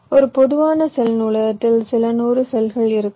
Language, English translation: Tamil, a typical cell library can contain a few hundred cells